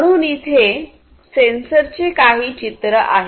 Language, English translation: Marathi, So, here are some pictures of certain sensors